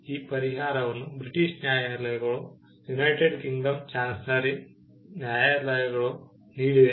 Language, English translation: Kannada, This remedy was given by the British courts by the Chancery courts in United Kingdom